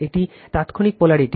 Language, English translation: Bengali, It is instantaneous polarity